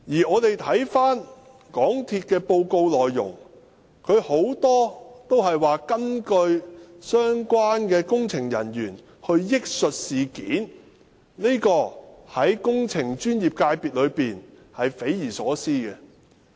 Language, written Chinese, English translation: Cantonese, 港鐵公司的報告內容，有很多根本是相關工程人員憶述的事件，這點對工程專業界別來說是匪夷所思的。, The bulk of the MTRCL report is made up of recollections of its related engineering staff . This is unimaginable to the professional engineering sector